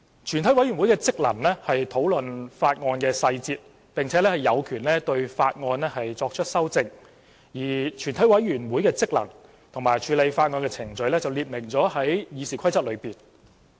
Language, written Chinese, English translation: Cantonese, 全委會的職能是討論法案的細節，並有權對法案作出修正，而全委會的職能和處理法案的程序則列明於《議事規則》。, One function of a committee of the whole Council is to discuss the details of a bill and it shall have power to make amendments therein . The functions of a committee of the whole Council and the procedure for handling a bill are stipulated in RoP